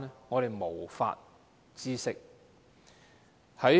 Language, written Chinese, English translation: Cantonese, 我們無法知悉。, We have no way to know